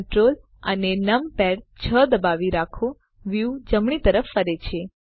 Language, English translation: Gujarati, Hold Ctrl numpad 6 the view pans to the right